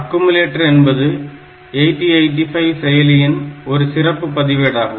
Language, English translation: Tamil, There is a special register called accumulator in 8085